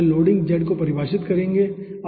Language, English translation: Hindi, okay, those will be defining the loading z